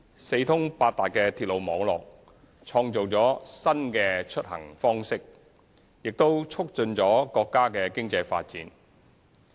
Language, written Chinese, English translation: Cantonese, 四通八達的鐵路網絡創造了新的出行方式，亦促進了國家的經濟發展。, The well - connected rail network has helped create a new mode of commuting and given impetus to the economic development of our country